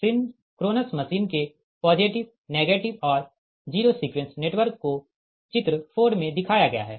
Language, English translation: Hindi, so positive, negative and zero sequence network of the synchronous machine is shown in figure four